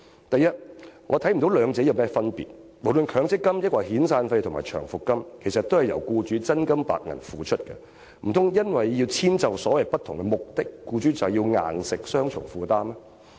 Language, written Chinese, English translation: Cantonese, 第一，我看不到兩者有何分別，無論是強積金，還是遣散費和長期服務金，其實都是由僱主真金白銀付款，難道因為要遷就所謂不同的目的，便要強迫僱主有雙重負擔嗎？, First I do not see any difference between MPF and severance and long service payments since employers have to pay real cash to make contributions . Do we have to force employers to shoulder a double burden simply because of the so - called different purposes?